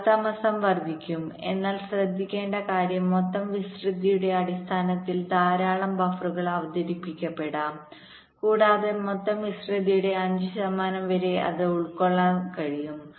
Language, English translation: Malayalam, but the point to note is that in terms of the total area, there can be a large number of buffers are introduced and it can occupy as much as five percent of the total area